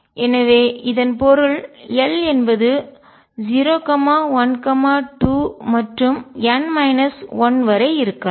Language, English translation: Tamil, So, this means l can be 0, 1, 2, and so on up to n minus 1